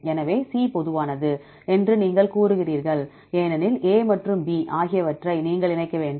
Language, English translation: Tamil, So, you say C is common because A and B you have to combine